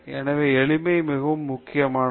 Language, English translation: Tamil, Therefore, simplicity is very important